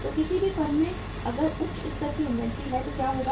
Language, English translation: Hindi, So in any firm if there is a high level of inventory what will happen